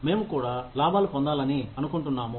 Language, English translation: Telugu, We also want to make profits